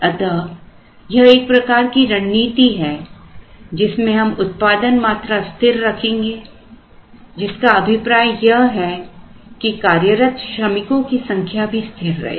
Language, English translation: Hindi, So, that is one type of strategy to keep the production constant, now to keep the production constant implies that the number of people who are employed the workforce is also kept constant